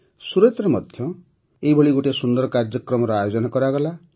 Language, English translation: Odia, One such grand program was organized in Surat